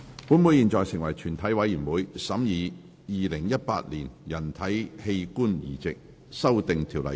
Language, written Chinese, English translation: Cantonese, 本會現在成為全體委員會，審議《2018年人體器官移植條例草案》。, Council now becomes committee of the whole Council to consider the Human Organ Transplant Amendment Bill 2018